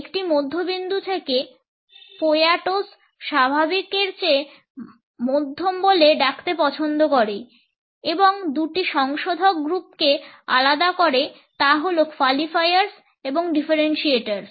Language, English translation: Bengali, From a middle point Poyatos has prefer to call medium rather than normal and distinguishes two groups of modifiers they are qualifiers and